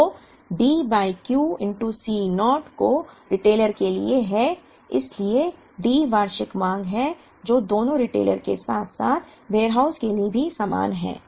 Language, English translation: Hindi, So, D by Q into C naught is for the retailer so D is the annual demand which is the same for both the retailer as well as for the warehouse